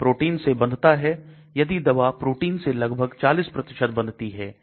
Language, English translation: Hindi, It binds to a protein, if the drug binds to a protein by about 40%